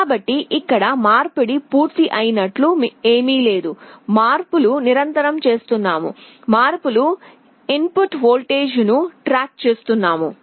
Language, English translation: Telugu, So, here there is nothing like conversion is complete we are continuously doing the conversion we are tracking the input voltage